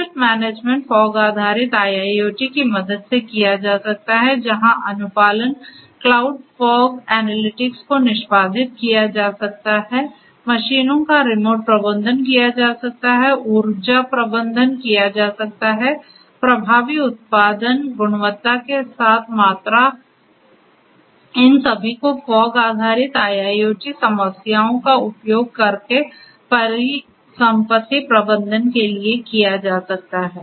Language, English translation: Hindi, Asset management can be done with the help of fog based IIoT, where compliant cloud fog analytics can be executed, remote management of machines can be done, energy management can be done, effective production, you know quality with quantity all of these can be done for asset management using fog based IIoT solution, for fog based IIoT problems